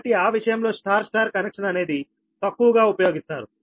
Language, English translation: Telugu, so in that case, thats why this star star connection is rarely used